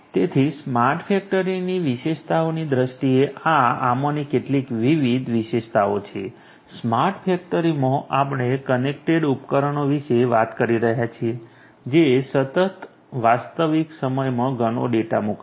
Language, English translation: Gujarati, So, in terms of the features of a smart factory these are the some of these different features, you know in a smart factory we are talking about connected devices which are going to sent lot of data in real time continuously